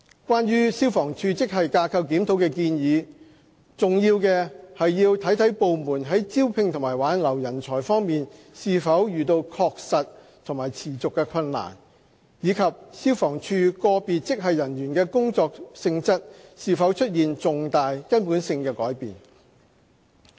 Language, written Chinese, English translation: Cantonese, 關於消防處職系架構檢討的建議，重要的是要看部門在招聘和挽留人才方面是否遇到確實和持續的困難，以及消防處個別職系人員的工作性質是否出現重大、根本性的改變。, Regarding the suggestion of a GSR for FSD what is important is whether the Department is facing genuine and persistent difficulties in recruitment and retention and whether there have been any significant or fundamental changes in the job nature of personnel of individual grades of FSD